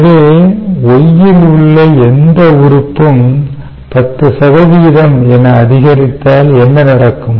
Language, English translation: Tamil, ok, so therefore, if any element in y increases by, say ten percent, what will happen